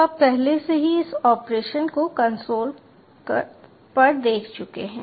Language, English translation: Hindi, so you have already seen on the console this operation